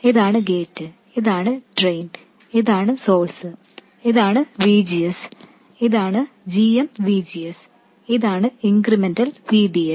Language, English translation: Malayalam, So, this is the gate, this is the drain, and this is the source, this is VGS and this is GM VGS, and this is the incremental VDS